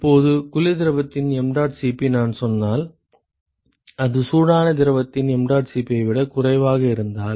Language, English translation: Tamil, Now, suppose if I say that mdot Cp of the cold fluid ok, if it is lesser than mdot Cp of the hot fluid, ok